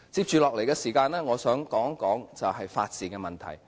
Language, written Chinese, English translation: Cantonese, 接下來的時間我想說說法治的問題。, I would like to talk about the rule of law in the following part of my speech